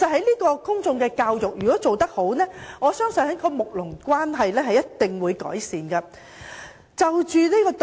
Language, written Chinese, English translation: Cantonese, 如果公眾教育做得好，我相信睦鄰關係一定會改善。, If public education is well conducted I believe neighbourliness will certainly be strengthened